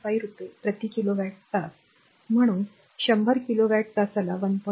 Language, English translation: Marathi, 5 per kilowatt hour therefore, 100 kilowatt hour at rupees 1